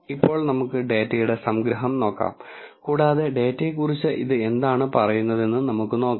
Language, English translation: Malayalam, So now, let us look at the summary of the data and let us see what it has to tell about the data